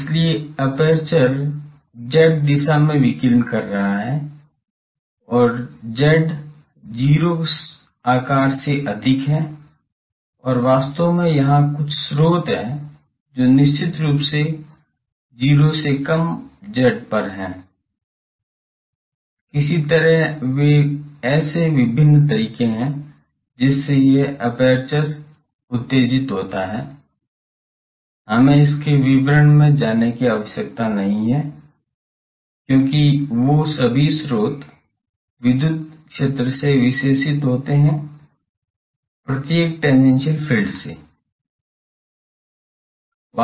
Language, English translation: Hindi, So, the aperture is radiating in the z is z greater than 0 size, and actually there are some sources definitely at z less than 0, somehow they are there are various ways by which this aperture is excited, we need not go into those details, because all those source gets characterized by this electric field on this, each tangential field